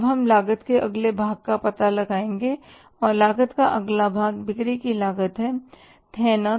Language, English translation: Hindi, Now we will go to the finding out the next part of the cost and the next part of the cost is the cost of sales